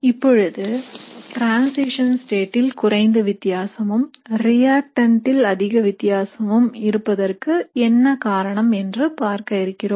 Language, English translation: Tamil, So this is assuming that very less difference in transition state and a big difference in your reactant